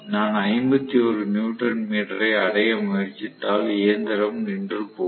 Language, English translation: Tamil, If, I try to reach 51 newton meter the machine will come to a standstill situation